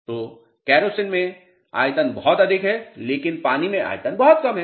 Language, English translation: Hindi, So, volume in kerosene is much higher, but volume in water is much less